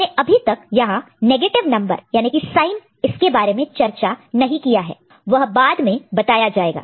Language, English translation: Hindi, We have not discussed yet the negative number or the sign that part will come later